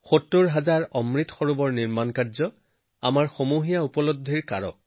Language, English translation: Assamese, Construction of 70 thousand Amrit Sarovars is also our collective achievement